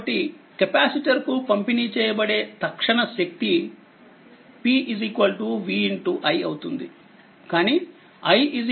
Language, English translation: Telugu, So, in that case, so this instantaneous power delivered to the capacitor is p is equal to v i right, but i is equal to c into dv by dt